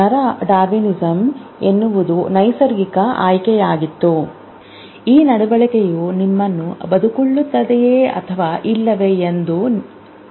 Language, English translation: Kannada, As I said neural darbinism, natural selection will decide whether this behavior of you will make you survive or not